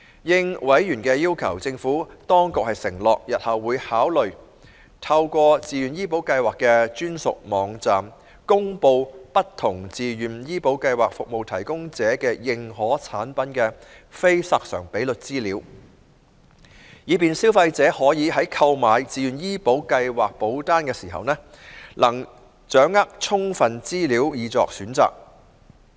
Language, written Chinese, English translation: Cantonese, 應委員的要求，政府當局承諾，日後會考慮透過自願醫保計劃的專屬網站，公布不同自願醫保計劃服務提供者的認可產品的非索償比率資料，以便消費者可以在購買自願醫保計劃保單時，能掌握充分資料以作選擇。, In response to a Members request the Administration has undertaken to consider making public information on expense loading of the Certified Plans offered by different VHIS providers through a dedicated VHIS website so as to facilitate consumers in making informed choices when purchasing VHIS policies